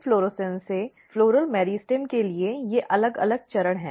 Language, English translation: Hindi, You have inflorescence to floral meristem these are the different steps